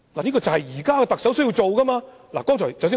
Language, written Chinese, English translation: Cantonese, 這就是現任特首需要做的事情。, This is a thing the current Chief Executive must do